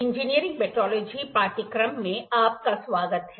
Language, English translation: Hindi, Welcome back to the course Engineering Metrology